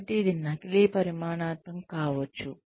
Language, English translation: Telugu, So, it could be pseudo quantitative